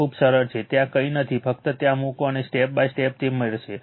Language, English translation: Gujarati, This is very simple nothing is there, just you just you put in there and step by step you will do you will get it right